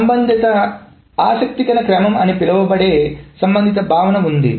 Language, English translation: Telugu, And there is a related concept called then interesting sort order